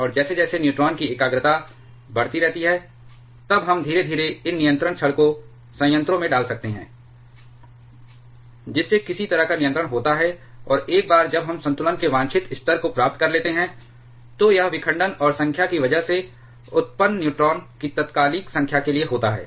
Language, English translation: Hindi, And as the neutron concentration keeps on increasing then we may slowly get these control rods into the reactor, thereby putting some sort of control and once we attain the desired level of equilibrium, that is for instant number of neutrons produced because of fission and number of neutrons consumed by these control rods that comes in equilibrium then we can attain the proper chain reaction